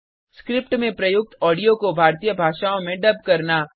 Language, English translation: Hindi, To dub the audio in Indian Languages using the script